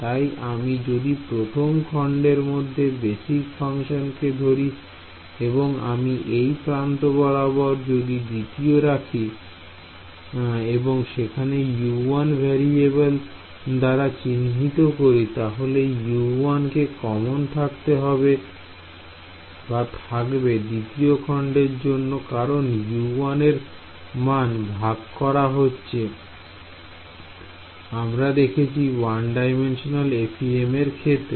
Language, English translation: Bengali, So, if I take the basis functions inside this first element 1, let us say an element 2 along this edge if I assign the variable to be U 1 then that U 1 is common for element 1 and its common for element 2 because that that value U 1 is shared is it like what we had in the node based 1D FEM